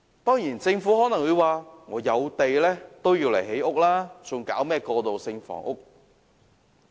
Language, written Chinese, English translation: Cantonese, 當然，政府可能會說有土地便應用來興建房屋，沒有需要提供過渡性房屋。, Of course the Government may say that all available sites should be used for housing construction instead of providing transitional housing